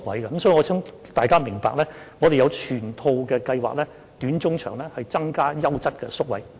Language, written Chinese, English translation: Cantonese, 所以，我想大家明白，我們有整套短、中、長期的計劃以增加優質的宿位。, Therefore I want to make it clear that we have a whole set of short - term mid - term and long - term plans to increase quality residential places